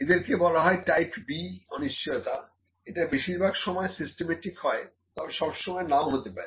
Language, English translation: Bengali, So, this are mostly type B uncertainty are mostly systematic if not always